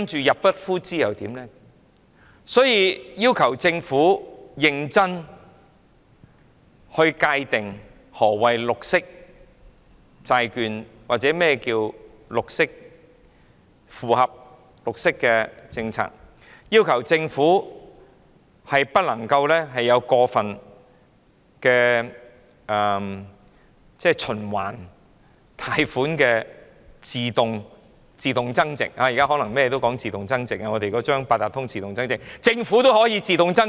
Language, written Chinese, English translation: Cantonese, 因此，我們要求政府認真界定何謂綠色債券或符合綠色政策，不能有過分循環貸款的自動增值——現在所有事情都講求自動增值，我們的八達通卡也可自動增值——連政府也可以自動增值。, For this reason we demand the Government to seriously define what is meant by green bonds or alignment with the green policy . There must not be excessive revolving credit facility which can automatically add value―nowadays everything gives importance to automatic value - adding . Our Octopus card also has such a function―even the Government can automatically add value